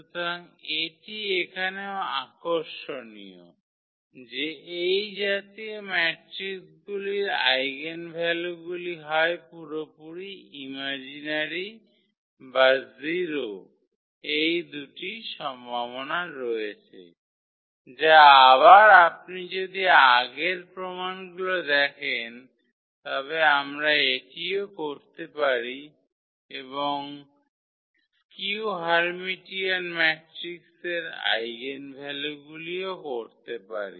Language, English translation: Bengali, So, this is also interesting here that eigenvalues of such matrices are either purely imaginary or 0 that is the two possibilities, which again if you follow the earlier proof we can also do this one and the eigenvalues of the a skew Hermitian matrix